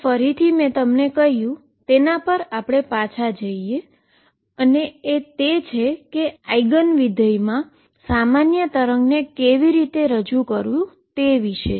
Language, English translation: Gujarati, Again I will go back to what I told you about how to represent a general wave in terms of eigen functions